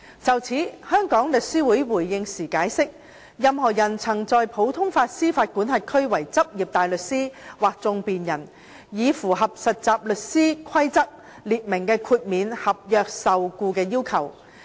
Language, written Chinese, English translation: Cantonese, 就此，香港律師會回應時解釋，任何人曾在普通法司法管轄區為執業大律師或訟辯人，已符合《實習律師規則》列明的豁免合約受僱的要求。, In response The Law Society of Hong Kong has explained that any person who has been engaged in the practice of a barrister or advocate in a common law jurisdiction has already satisfied the requirement specified by the Trainee Solicitors Rules for exemption from employment under a trainee solicitor contract